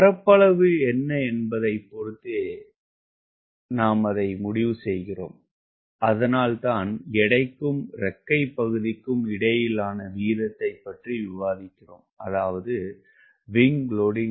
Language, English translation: Tamil, that is why we are discussing about ratio between weight and the wing area, that is, wing loading